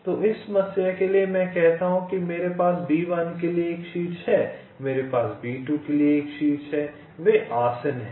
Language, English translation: Hindi, so for this problem, let say i have a vertex for b one, i have a vertex for b two